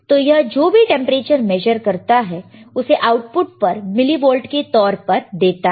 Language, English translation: Hindi, Now, whatever temperature is measures it gives the output in terms of millivolts